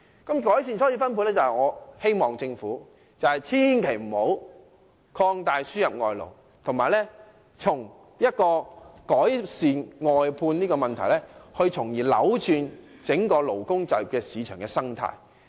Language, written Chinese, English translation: Cantonese, 在改善初次分配方面，我促請政府千萬不要擴大輸入外勞，而應改善外判問題，從而扭轉整個勞工就業市場的生態。, In this respect I urge the Government not to expand the importation of foreign labour and instead it should improve the outsourcing system in order to change the entire ecosystem of the labour market